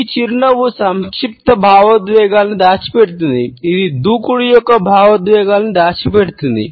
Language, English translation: Telugu, This smile hides complex emotions, it hides emotions of aggression